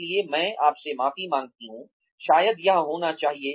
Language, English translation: Hindi, So, I apologize to you, maybe it has to be this